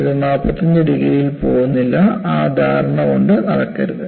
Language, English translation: Malayalam, It does not go at 45 degrees; do not carry that impression